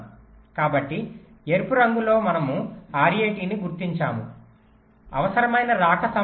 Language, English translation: Telugu, so in red we are marking r a t, required arrival time